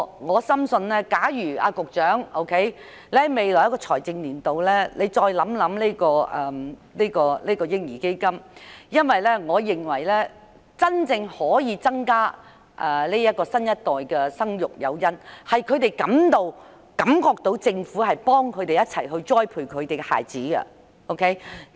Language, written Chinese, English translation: Cantonese, 我深信局長應在未來一個財政年度，繼續探討設立嬰兒基金的事宜，因為這將可切實提高新一代父母生育子女的誘因，令他們感到政府會協助他們栽培子女。, I firmly believe that the Secretary should continue exploring in the next financial year the possibility of establishing a baby fund because this will in effect offer greater incentives for the new generation to bear more children reassuring them that the Government will assist in nurturing their children